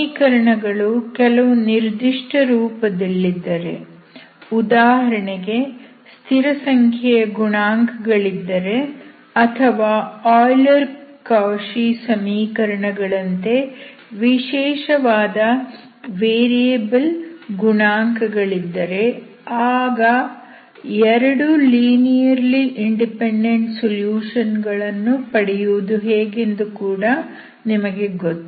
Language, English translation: Kannada, So if you are given one solution, so you know how to find other solution, if your equations are of special form like constant coefficients or special variable coefficients like Euler Cauchy equation, you know how to find two linearly independent solutions, okay